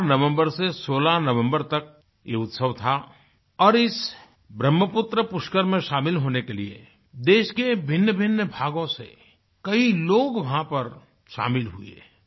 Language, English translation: Hindi, This festival was held between 4th and 16th November, and people had come from all corners of the country to take part in this Brahmaputra Pushkar